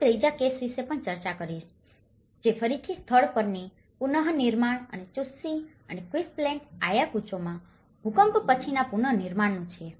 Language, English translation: Gujarati, I will also discuss about the third case, which is an on site reconstruction again and post earthquake reconstruction in Chuschi and Quispillacta Ayacucho